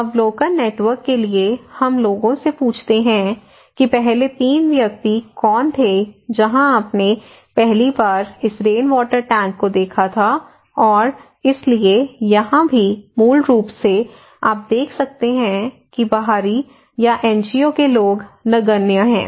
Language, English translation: Hindi, Also the observations; for observation network, we ask people that who was the first three persons where you saw first time this rainwater tank and so here also basically, you can see that outsiders or NGO people are negligible, they did not